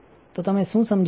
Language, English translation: Gujarati, So, what you understood